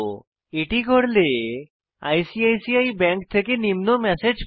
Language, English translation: Bengali, I get the following messsage from ICICI bank